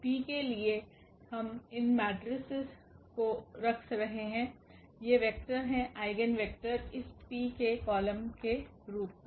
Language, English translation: Hindi, So, the P will be we are placing these matrices are these vectors the eigenvectors as columns of this P